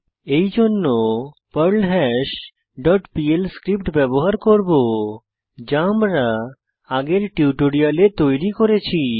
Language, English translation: Bengali, For this, well use perlHash dot pl script, which we have created earlier in this tutorial